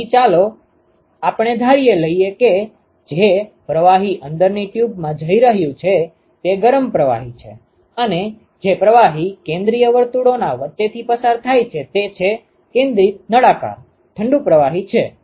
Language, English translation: Gujarati, So, let us assume that the fluid which is going to the inside tube is the hot fluid and the fluid which is going through the between the concentric circles is the, concentric cylinders is the cold fluid ok